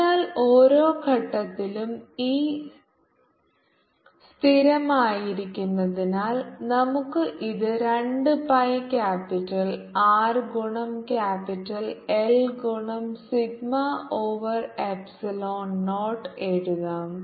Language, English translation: Malayalam, so because e is constant at every point, we can write this as d s equal to two pi capital r into capital l into sigma over epsilon naught